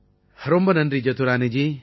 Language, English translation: Tamil, Thank You Jadurani Ji